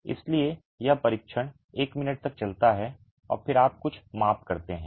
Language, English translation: Hindi, So the test lasts for a minute and then you make some measurements